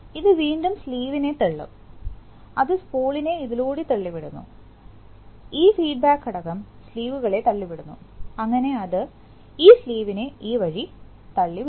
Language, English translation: Malayalam, So, this will again push the spool, not the spool, the sleeve, so the spool is being pushed by this one and this, this one, this feedback element pushes the sleeves, so it will, it is going to push the sleeves this way